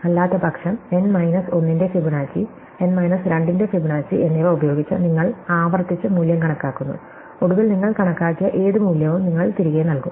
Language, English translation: Malayalam, Otherwise, you compute value recursively using this criterion Fibonacci of n minus 1 plus Fibonacci of n minus 2 and finally, whatever value you are computed you return